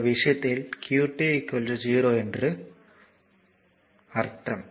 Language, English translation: Tamil, So, in this case qt is equal to 0